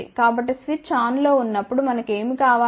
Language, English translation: Telugu, So, when the switch is on what do we want